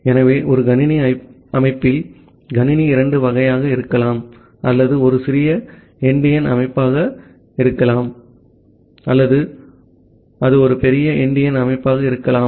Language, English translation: Tamil, So, in a computer system, the computer can be of two type either it can be a little endian system or it can be a big endian system